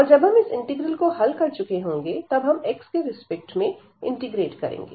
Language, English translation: Hindi, And then once we are done with this integral, we will integrate with respect to x